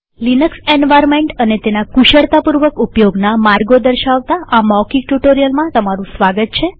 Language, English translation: Gujarati, Welcome to this spoken tutorial on the Linux environment and ways to manupulate it